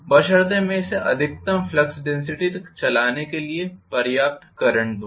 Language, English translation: Hindi, Provided I pass sufficient current to drive it to maximum flux density you know criteria